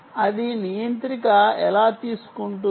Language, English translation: Telugu, it is the controller